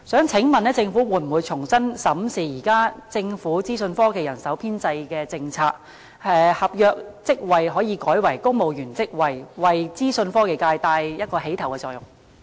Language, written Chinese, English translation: Cantonese, 請問政府會否重新審視政府現行的資訊科技人手編制政策，將合約職位改為公務員職位，為資訊科技界發起牽頭作用？, May I ask the Government whether it will review its current policy on the establishment of IT staff changing posts on contract terms to civil service posts taking the lead of change in the IT sector?